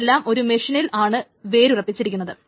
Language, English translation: Malayalam, They are essentially rooted to one machine